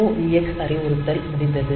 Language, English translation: Tamil, So, MOVX instruction is complete